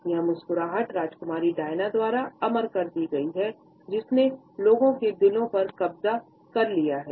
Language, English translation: Hindi, This smile has been immortalized by Princess Diana, who has captivated the hearts of people wherever she has gone